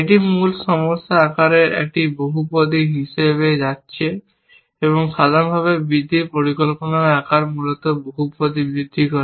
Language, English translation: Bengali, It is going as a polynomial of the original problem size and general, the size of the planning of grows increases polynomial essentially